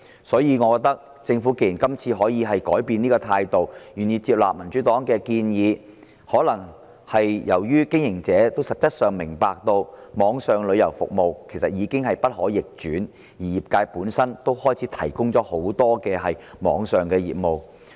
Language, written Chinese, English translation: Cantonese, 所以，政府今次竟然改變態度，願意接納民主黨的建議，我覺得可能覺察到網上旅遊服務的趨勢其實已經不可逆轉，而業界本身亦都開始營辦很多網上業務。, Surprisingly the Government has changed its attitude and is willing to take on board the views of the Democratic Party probably because it has noted that the trend of online travel services has actually become irreversible and the trade has also started to operate many online businesses